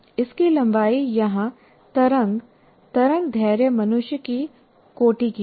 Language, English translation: Hindi, The length of the wave, wavelength here is roughly the order of human being